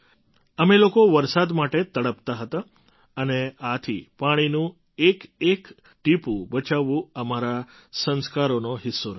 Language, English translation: Gujarati, We used to yearn for rain and thus saving every drop of water has been a part of our traditions, our sanskar